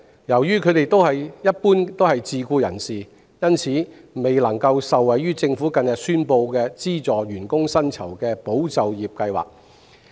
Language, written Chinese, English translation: Cantonese, 由於他們一般是自僱人士，因此未能受惠於政府近日宣布的資助員工薪酬的"保就業"計劃。, As driving instructors are generally self - employed persons they cannot benefit from the Employment Support SchemeESS recently announced by the Government to provide wage subsidies for employees